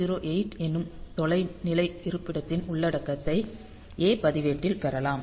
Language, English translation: Tamil, So, that way we can have this 1008 remote location content available in the a register